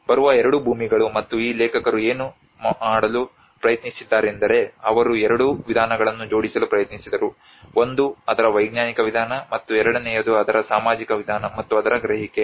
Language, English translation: Kannada, The two lands coming and what this authors have tried to do they tried to club both the methods of both, one is the scientific approach of it, and second is the social approach to it, and the perception of it